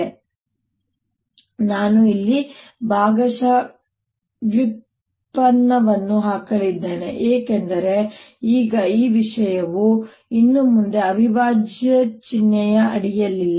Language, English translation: Kannada, now i am going to put a partial derivative here, because now is this thing is not under the integral sign anymore